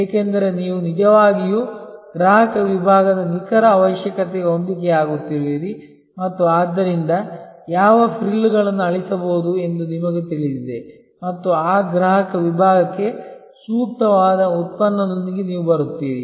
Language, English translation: Kannada, Because, you are actually matching the exact requirement of the customer segment and therefore, you know what frills can be deleted and you come up with the product which is optimally suitable for that customer segment